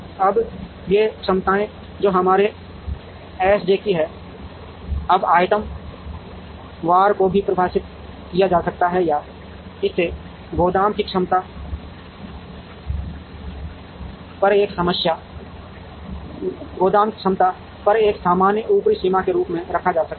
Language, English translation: Hindi, Now, these capacities, which are our S j’s ,now can also be defined item wise or can be kept as a generic upper limit on the capacity of the warehouse